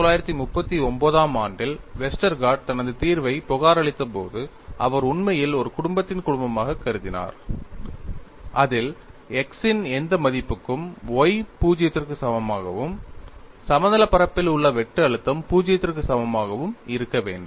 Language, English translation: Tamil, And when Westergaard reported his solution in 1939, he actually considered a family of problems in which along y equal to 0 for any value of x, the in plane shear stress should be equal to 0; in fact, he solved the set of problems about 8 or 9 in one single paper